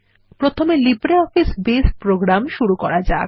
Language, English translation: Bengali, Let us first invoke the LibreOffice Base program